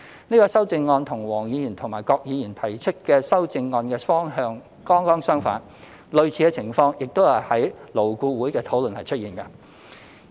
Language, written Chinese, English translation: Cantonese, 這項修正案與黃國健議員及郭偉强議員提出的修正案的方向剛剛相反，而類似的情況亦在勞工顧問委員會的討論出現。, This amendment goes precisely in the opposite direction of the amendments proposed by Mr WONG Kwok - kin and Mr KWOK Wai - keung and similar situation also appeared in the discussions under the Labour Advisory Board